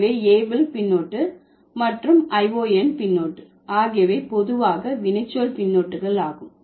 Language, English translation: Tamil, So, able suffix and Eon suffix generally they are the verbal suffixes